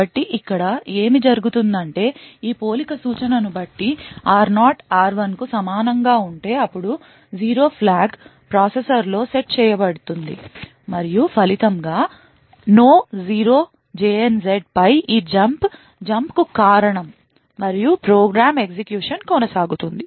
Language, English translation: Telugu, So what happens over here is that depending on this comparison instruction if r0 is equal to r1, then the 0 flag is set within the processor and as a result this jump on no 0 would not cause a jump and the program will continue to execute